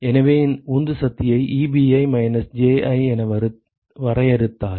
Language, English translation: Tamil, So, if we define the driving force as E b i minus J i ok